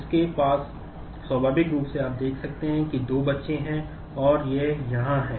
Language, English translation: Hindi, He has naturally you can see that two children and there are this is here, this is here